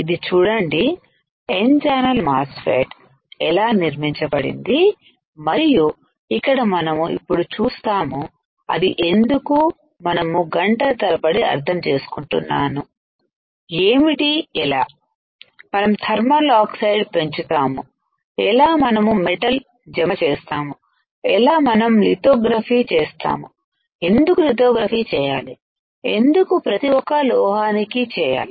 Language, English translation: Telugu, See this is how the N channel MOSFET is fabricated and here we now see that why we were understanding for hours, what is how can we grow thermal oxide how can we deposit metal, how can we do lithography, why to do lithography, why to etch metal